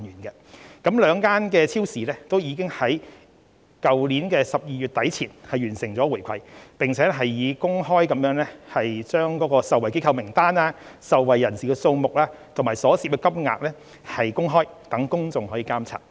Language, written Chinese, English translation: Cantonese, 就此，兩間超市已經在去年12月底前完成回饋，並以公開受惠機構名單、受惠人士數目及所涉金額，讓公眾可以監察。, In this connection the two supermarket chains already completed the giving of rebates before the end of December 2020 and made public for public scrutiny the list of benefiting organizations the number of beneficiaries and the corresponding amounts of rebates they received